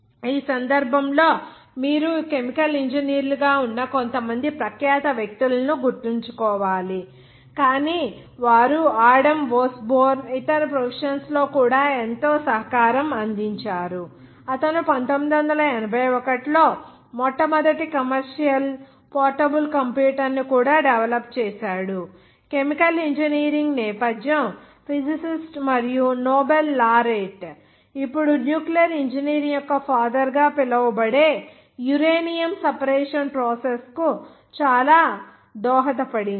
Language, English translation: Telugu, In this case, you have to remember some renowned persons who were chemical engineers but they have contributed lot in other professions like Adam Osborne, he also developed the first commercial portable computer in 1981, chemical engineering background the physicist and Nobel Laureate using now we are called father of the nuclear engineering has contributed a lot for the uranium separation process